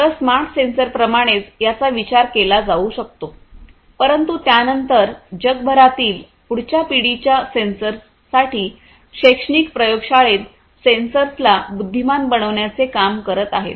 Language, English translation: Marathi, So, these can be thought of like smart sensors, but then for next generation sensors throughout the world industries academic labs and so, on